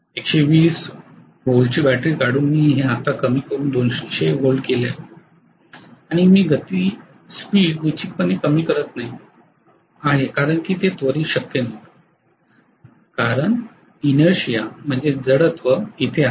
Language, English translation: Marathi, May be I have decreased this now to 200 volts by removing 120 volts battery and I am not going to definitely have the speed decreased immediately that is not possible because there is inertia